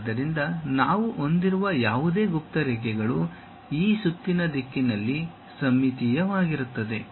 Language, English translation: Kannada, So, there are no hidden lines we will be having and is symmetric in this round direction